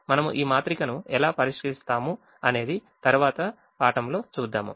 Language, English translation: Telugu, how we solve this matrix, we will see this in the next last class